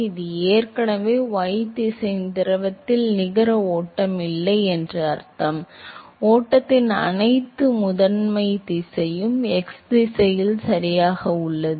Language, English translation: Tamil, It already means that there is no net flow of the fluid in the y direction, all the primarily direction of flow is in the x direction alright